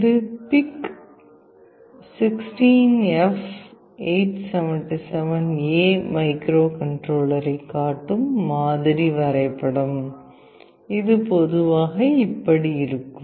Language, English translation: Tamil, This is a sample diagram showing PIC 16F877A microcontroller this is how it typically looks like